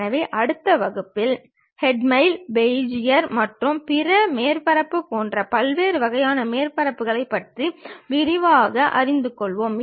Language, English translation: Tamil, So, in the next class we will in detail learn about these different kind of surfaces like hermite, Bezier and other surfaces